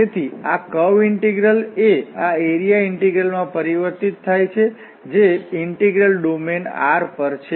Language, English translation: Gujarati, So this curve integral is transformed to this area integral, the integral over the domain R